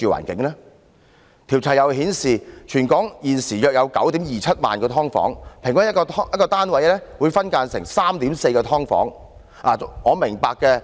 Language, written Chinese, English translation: Cantonese, 調查又顯示，全港現時約有 90,270 間"劏房"，平均一個單位分間成 3.4 間"劏房"。, As indicated by the survey there are currently about 90 270 subdivided units in Hong Kong . On average each flat is subdivided into 3.4 subdivided units